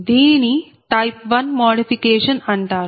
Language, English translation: Telugu, this is called type one modification